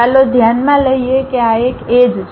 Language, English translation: Gujarati, Let us consider this is the edge